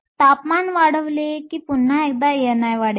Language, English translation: Marathi, So, increasing temperature will once again increase n i